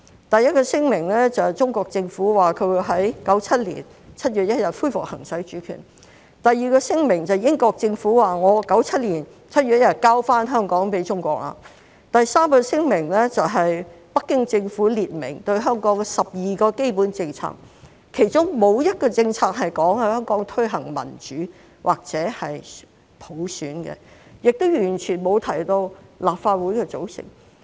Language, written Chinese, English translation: Cantonese, 第一個聲明，中國政府說會在1997年7月1日恢復行使主權；第二個聲明是英國政府說在1997年7月1日把香港交回中國；第三個聲明是北京政府列明對香港12項基本政策，其中沒有一個政策說會在香港推行民主或普選，亦完全沒有提到立法會的組成。, First the Chinese Government said that it would resume the exercise of sovereignty on 1 July 1997; second the British Government said that Hong Kong would be restored to China on 1 July 1997; third the Beijing Government set out 12 basic policies regarding Hong Kong none of which stated that democracy or universal suffrage would be implemented in Hong Kong and there was no mention of the composition of the Legislative Council at all